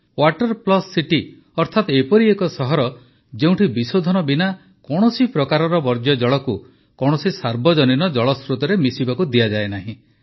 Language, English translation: Odia, 'Water Plus City' means a city where no sewage is dumped into any public water source without treatment